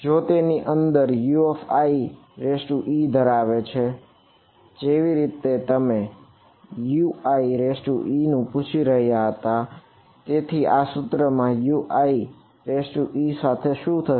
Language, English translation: Gujarati, If it contains a U i e inside it as you are asking a U i e then what will happened to U i e in this equation